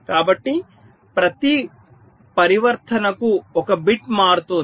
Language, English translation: Telugu, so for every transition one bit is changing